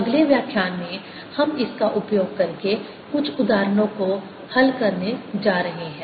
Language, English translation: Hindi, in the next lecture we are going to solve some examples using this